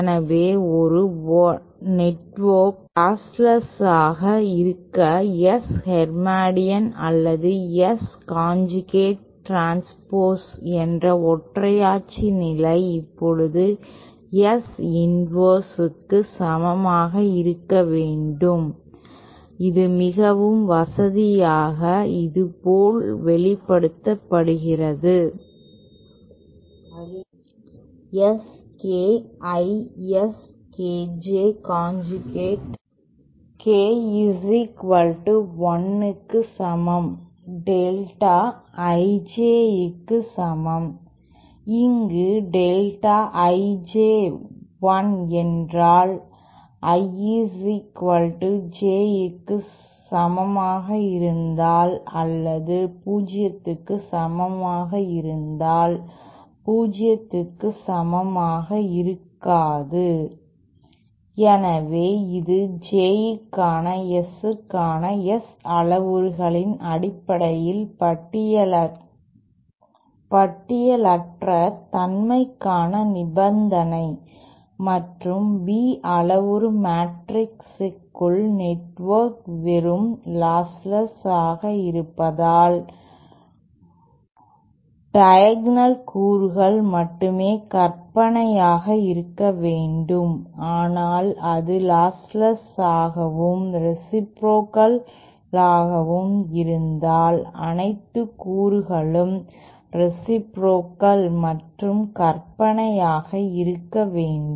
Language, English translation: Tamil, So for a network to be lostless the unitary condition that is S hermatian or S conjugate transpose should equal to S inverse now [mos] more conveniently this is expressed like thisÉ S K I S K J conjugate K equal to 1 is equal to delta I J where delta I J is 1 if I equal to J or equal to 0 for I not equal to 0 so this is the condition for listlessness in terms of the S parameter for a for the Z and Y parameter matrices we had seen that if the network is just lostless then only the diagonal elements should be purely imaginary if it is but lostless and reciprocal then all the elements should be reciprocal and imaginary